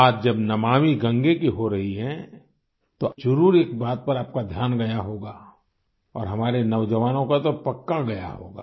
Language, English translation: Hindi, When Namami Gange is being referred to, one thing is certain to draw your attention…especially that of the youth